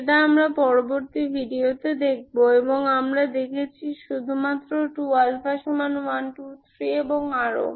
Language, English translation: Bengali, That we will see in the next video and what we have seen is only 2 alpha equal to 1, 2, 3 and so on